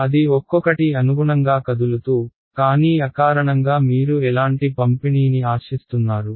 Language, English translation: Telugu, They will move according to each other, but intuitively what kind of distribution do you expect